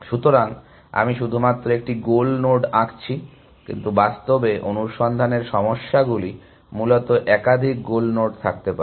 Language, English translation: Bengali, So, I have drawn only one goal node, but in practice, search problems may have more than one goal node essentially